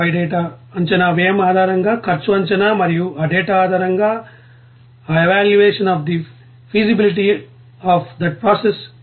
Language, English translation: Telugu, And then cost estimation based on that cost of data and then you know evaluation of the feasibility of that process based on that data